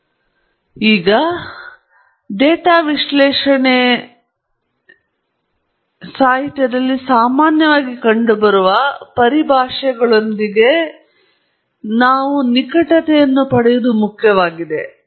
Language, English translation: Kannada, So, before we move on to the data analysis procedure which is the last part of this lecture, it’s important to at least gain familiarity with some terminology that’s commonly found in the data analysis literature